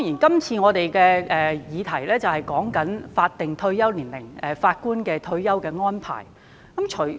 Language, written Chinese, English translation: Cantonese, 這次的議題是關於法定退休年齡及法官的退休安排。, The question of this debate concerns the statutory retirement ages and retirement arrangements of Judges